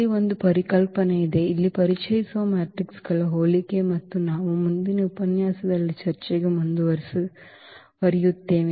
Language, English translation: Kannada, There is a concept here the similarity of matrices which will introduce here and we will continue for the discussion in the next lecture